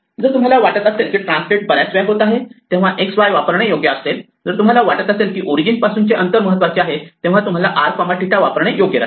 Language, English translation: Marathi, If you think translate happens more often it's probably better to use x and y; if you think origin from the distance is more important, so probably better to use r and theta